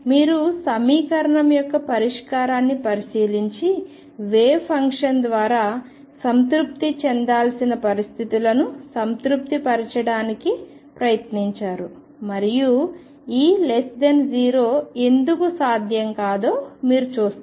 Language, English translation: Telugu, You look through the solution of the equation and tried to satisfy the conditions that has to be satisfied by the wave function and you will fine why E less than 0 is not possible